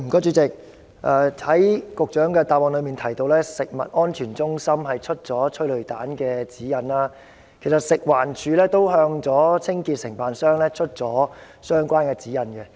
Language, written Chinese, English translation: Cantonese, 主席，局長的主體答覆提到，食物安全中心發出了有關催淚煙的指引，其實，食環署亦有向清潔承辦商發出相關指引。, President in the Secretarys main reply it is mentioned that CFS has issued guidelines on tear gas . In fact the Food and Environmental Hygiene Department FEHD has also issued the relevant guidelines to its cleansing contractors